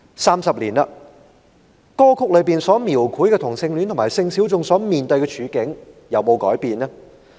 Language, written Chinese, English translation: Cantonese, 三十年過去，歌曲中所描繪同性戀和性小眾所面對的處境，有沒有改變呢？, Thirty years later are there any changes in the circumstances of the homosexual people and sexual minorities depicted in the song?